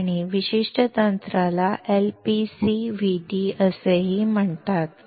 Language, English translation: Marathi, This particular technique is also called LPCVD